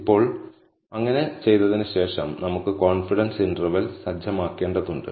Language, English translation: Malayalam, Now, after doing so, we need to set the confidence region